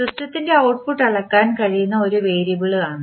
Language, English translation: Malayalam, An output of a system is a variable that can be measured